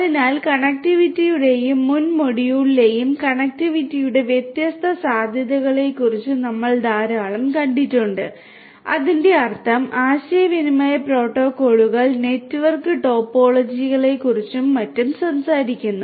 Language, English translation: Malayalam, So, connectivity and in the previous module we have seen a lot about the different possibilities of connectivity; that means, talking about communication protocols network topologies and so on and so forth